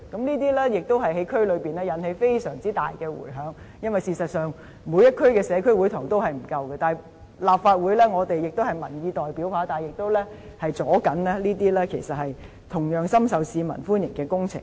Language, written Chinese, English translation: Cantonese, 這些議題在區內也引起非常大的迴響，因為事實上，每區的社區會堂均不足夠，我們是民意代表，但立法會也同樣是在阻礙這些深受市民歡迎的工程進行。, These issues also aroused a great deal of reaction in the district concerned because the numbers of community halls in all districts are actually inadequate . We are representatives of public opinion but the Legislative Council is also posing obstacles to the implementation of these projects well - received by the public